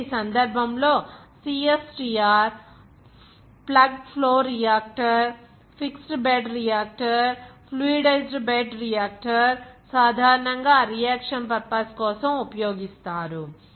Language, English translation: Telugu, And in this case are CSTR, plug flow reactor, fixed bed reactor, fluidized bed reactor commonly used for that reaction purpose